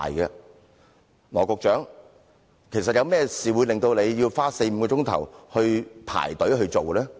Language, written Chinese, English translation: Cantonese, 有甚麼事情會令羅局長花四五個小時排隊呢？, What will keep Secretary Dr LAW waiting in line for four or five hours?